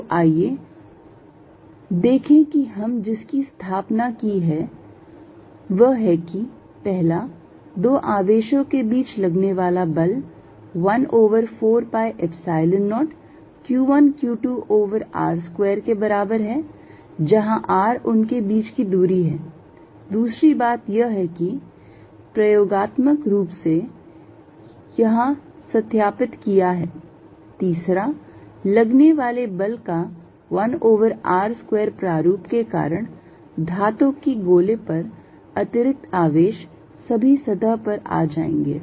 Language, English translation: Hindi, So, let us see what we established one force between two charges is 1 over 4 pi Epsilon 0 q 1 q 2 over r square, where r is the distance between them, number two experimentally verified here, third, because of 1 over r square nature of the force extra charge on a metal sphere will all come to the surface